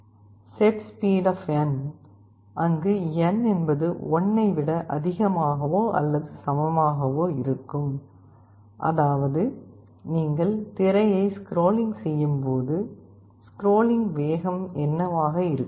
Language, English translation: Tamil, setSpeed, where n is an integer greater than or equal to 1, means when you are scrolling the screen, what will be the speed of scrolling